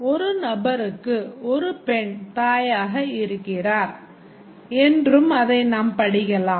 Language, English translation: Tamil, We can also read it as a person has one woman as his mother